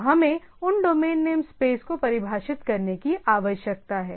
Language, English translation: Hindi, So, that those domain name space need to be defined